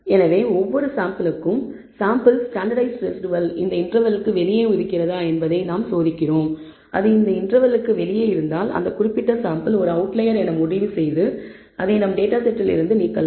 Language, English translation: Tamil, So, for each sample, we test whether the sample standardized residual lies outside of this interval and if it lies outside this interval, we can conclude that that particular sample maybe an outlier and remove it from our data set